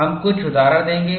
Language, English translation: Hindi, You would see some examples